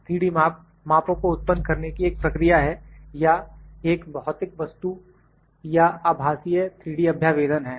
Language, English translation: Hindi, 3D measurement is a process of creating measurement or virtual 3D representation of a physical object